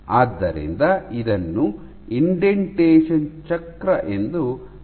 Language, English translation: Kannada, So, this is called the indentation cycle